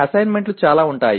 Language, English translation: Telugu, Assignments can be many